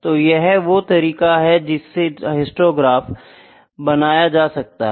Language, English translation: Hindi, So, this is the histogram chart